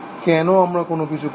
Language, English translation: Bengali, Why we are doing something